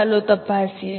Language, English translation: Gujarati, Let us check